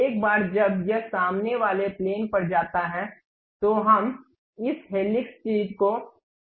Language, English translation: Hindi, Once it is done go to front plane where we can see this helix thing